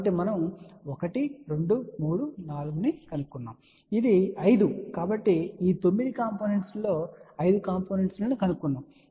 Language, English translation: Telugu, So, we have now found 1 2 3 4 and this is 5 so out of this 9 component we have now found 5 components